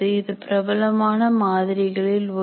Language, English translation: Tamil, And that is one of the very popular models